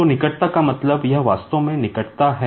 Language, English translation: Hindi, So, proximity means, it is actually the closeness